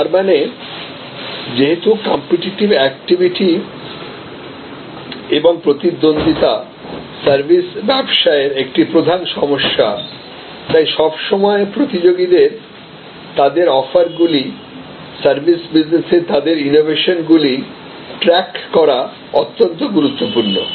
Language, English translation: Bengali, Now, as a result, because the competitive activity and rivalry is a major issue in service business, so constantly tracking your competitors their offerings, their service innovations become very important in services businesses